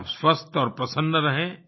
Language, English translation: Hindi, May all of you be healthy and happy